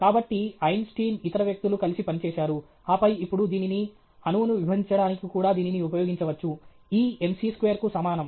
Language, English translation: Telugu, So, then Einstein, other people have worked together, and then, you know now, this can also be used for splitting the atom; e is equal to m c square and all that right